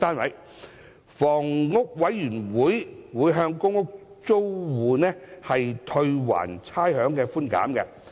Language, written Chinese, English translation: Cantonese, 香港房屋委員會將向公屋租戶退還差餉寬減。, The Housing Authority will rebate the rates concessions to PRH tenants